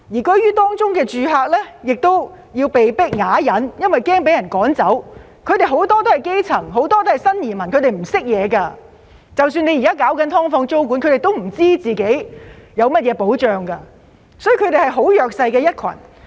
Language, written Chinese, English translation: Cantonese, 居於當中的住客要被迫啞忍，因為怕被趕走，他們都是基層市民、新移民，不是很有知識，即使現時政府研究"劏房"租管，他們亦不知道自己有甚麼保障，所以他們是很弱勢的一群。, They have to tolerate such situation silently for fear that they may otherwise be evicted . They are the grass roots and new immigrants who are not well educated . Even though the Government is studying the introduction of tenancy control on SDUs these people do not know what protection they will have thus they are a very disadvantaged group